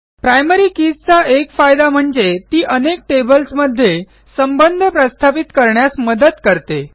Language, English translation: Marathi, One of the various advantages of a primary key is that it helps to establish relationships between tables